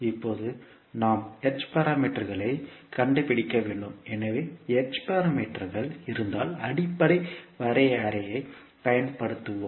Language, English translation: Tamil, Now we need to find out the h parameters, so we will use the basic definition for in case of h parameters